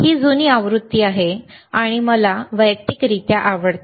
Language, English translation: Marathi, tThis is the older version and I use personally like